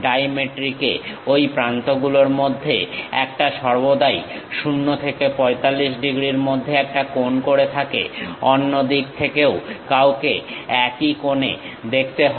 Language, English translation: Bengali, In dimetric, one of these edges always makes an angle in between 0 to 45 degrees; on the same angle, one has to see it on the other side also